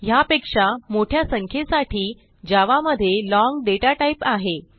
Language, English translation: Marathi, To store large numbers, Java provides the long data type